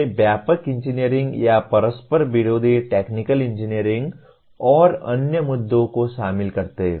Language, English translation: Hindi, They involve wide ranging or conflicting technical engineering and other issues